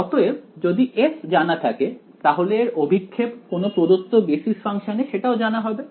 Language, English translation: Bengali, So, if f is known then its projection on any known basis function is also known right